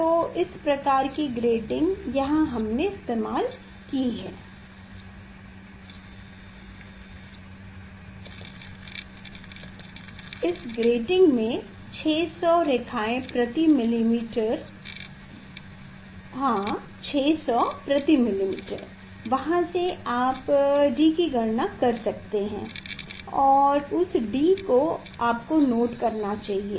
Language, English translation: Hindi, this lines per millimeter for this grating is 600; 600 lines per millimeter from there you can calculate d, and that d you should note down